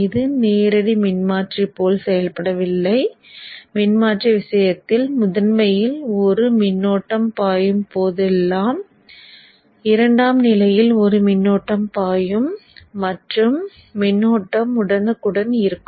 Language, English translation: Tamil, So this is not acting like a direct transformer where in the case of transformer, there is a current flowing in the primary, there will be a current flowing in the secondary and power flow will be instant by instant